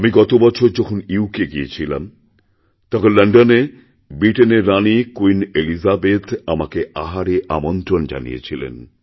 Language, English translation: Bengali, During my past UK visit, in London, the Queen of Britain, Queen Elizabeth had invited me to dine with her